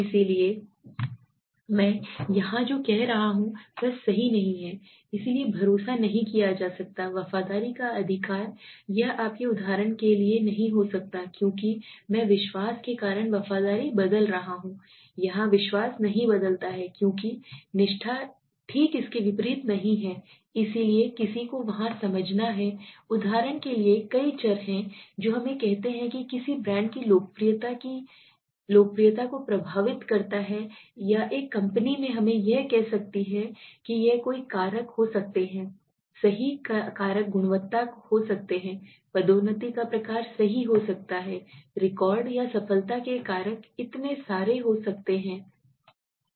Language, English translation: Hindi, So what I m saying here is it is not possible right so trust cannot be will not get effected by loyalty right it cannot be for example you see so as I m saying loyalty changes because of trust here trust does not change because of loyalty not the vice versa so one is to understand in there are several variables for example let us say what affects the popularity of a popularity of a brand or a company let us say now it could be several factors right several factors could be the quality could be the kind of promotion right could be the record or the success factors right so many things are there